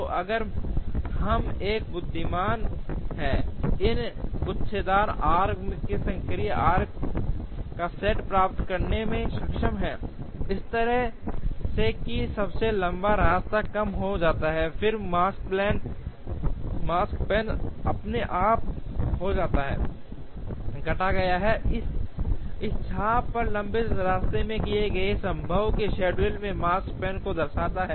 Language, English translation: Hindi, So, if we are able to get the set of active arcs out of these bunched arcs, in an intelligent manner such that the longest path is reduced, then the Makespan is automatically reduced, the longest path on this arc indicates the Makespan of a given feasible schedule